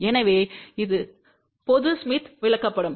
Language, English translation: Tamil, So, this is the general smith chart